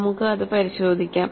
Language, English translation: Malayalam, We will have look at that